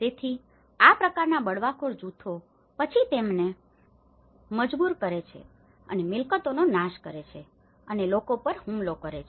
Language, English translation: Gujarati, So, after this kind of Rebel groups forcing them and destroying the properties and attacking the people